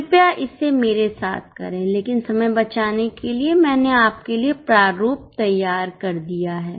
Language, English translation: Hindi, Please do it with me but just to save time I have made the format ready for you